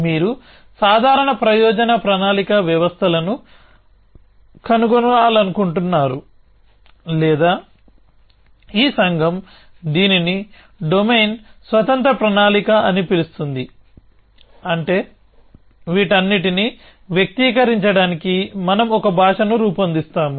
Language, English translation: Telugu, You want to find general purpose planning systems or else this community calls it domain independent planning essentially, which means that we will devise a language to express all this